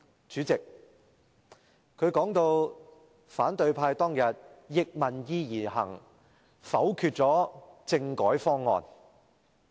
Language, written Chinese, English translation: Cantonese, 主席，她說反對派當天逆民意而行，否決政改方案。, President she said that the opposition camp defied public opinion and voted down the constitutional reform package